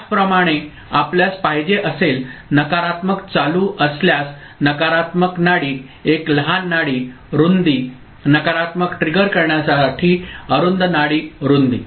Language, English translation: Marathi, Similarly if you want a negative going you know, negative going edge a negative a pulse, a small pulse width narrow pulse width for negative triggering ok